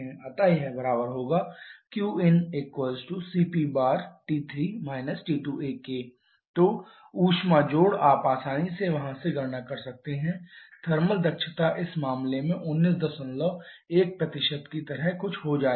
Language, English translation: Hindi, So, it be equal to your CP bar into T 3 – T 2a so the heat addition you can easily calculate from there the thermal efficiency in this case will becoming something like 19